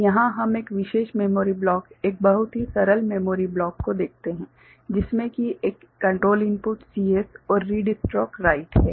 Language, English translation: Hindi, So, here we see a particular memory block is a very simple memory block right, which is having a control you know input CS and read stroke write